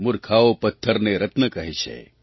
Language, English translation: Gujarati, Imprudent people call stones as gems